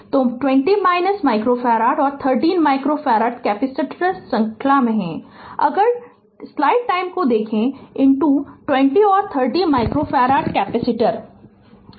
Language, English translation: Hindi, So, 20 minus micro farad and 30 micro farad capacitors are in series, if you look into that 20 and 30 micro farad capacitors are in series